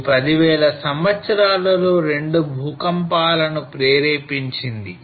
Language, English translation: Telugu, It triggered the 2 earthquake in last 10,000 years